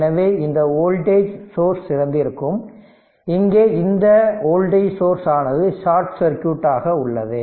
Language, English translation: Tamil, So, this current source is open and this voltage source here it is short circuited right